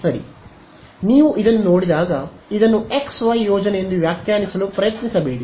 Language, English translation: Kannada, So, when you see this do not try to interpret this as a x y plot right